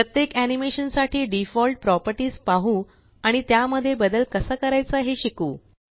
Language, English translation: Marathi, Lets look at the default properties for each animation and learn how to modify them